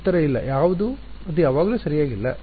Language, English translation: Kannada, Answer is no, when is it not correct